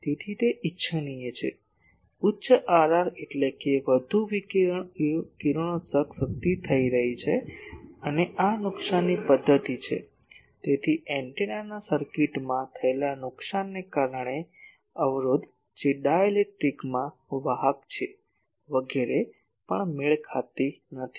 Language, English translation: Gujarati, So, it is desirable higher R r means more radiation radiated power is taking place and, this is the loss mechanism so, resistance due to the loss in the circuit of the antenna that is the in the conductor in the dielectric etc